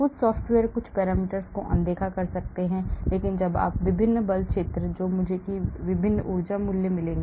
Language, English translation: Hindi, some software may ignore some parameter, so when you run different force field, I will get different energy values